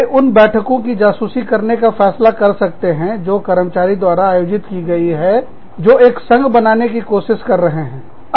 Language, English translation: Hindi, They may decide to spy on the meetings, that have been conducted by employees, who are trying to form a union